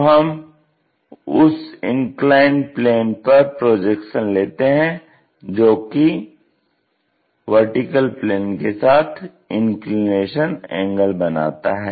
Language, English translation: Hindi, So, we are going to take projections onto that inclined plane that inclined plane making inclination angle with vertical plane